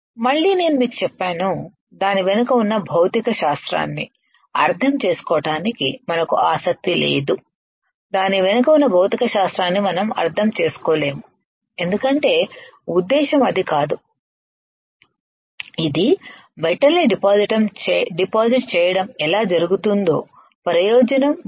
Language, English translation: Telugu, Again, I told you we are not interested in understanding the physics behind it we are not industry understanding the physics behind it because that is not the idea is said this is how it is done depositing off metal and you will see what is the advantage disadvantage that is it